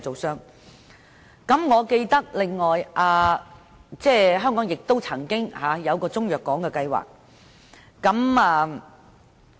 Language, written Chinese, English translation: Cantonese, 此外，我還記當局曾經提出一個中藥港計劃。, Besides I still remember the Governments proposal to develop a Chinese medicine port